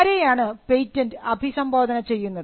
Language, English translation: Malayalam, To whom is the patent address to